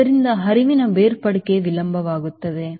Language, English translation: Kannada, so flow separation will be delayed